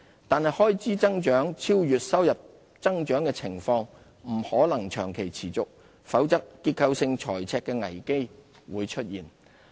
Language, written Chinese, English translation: Cantonese, 但開支增長超越收入增長的情況，不可能長期持續，否則結構性財赤的危機會出現。, However the growth of government expenditure cannot keep outpacing economic growth for an undue period lest the risk of a structural deficit would emerge